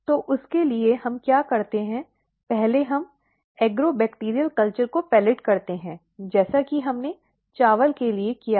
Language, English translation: Hindi, So, for that what we do first we pellet the Agrobacterial culture as we did similarly for rice